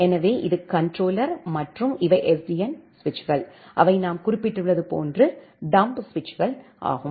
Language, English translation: Tamil, So, this is the controller and these are the SDN switches, which are the dumb switches as we have mentioned